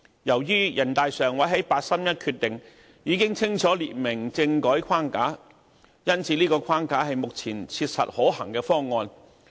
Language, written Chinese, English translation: Cantonese, 由於人大常委會在八三一決定已清楚列明政改框架，因此，這個框架是目前切實可行的方案。, As the 31 August Decision has provided the framework for constitutional reform the framework is now a practicable proposal